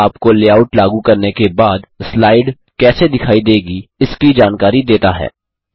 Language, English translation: Hindi, It gives you an idea of how the slide will appear after the layout has been applied